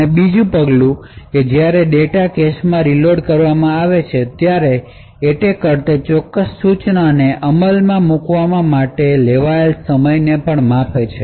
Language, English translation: Gujarati, And during the 2nd step when the data is reloaded into the cache, the attacker also measures the time taken for that particular instruction to execute